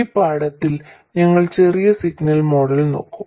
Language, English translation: Malayalam, In this lesson we will look at the small signal model